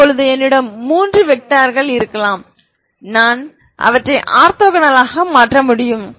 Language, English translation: Tamil, Now i may have i can make them orthogonal